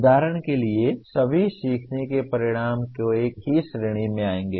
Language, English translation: Hindi, For example will all learning outcomes come under the same category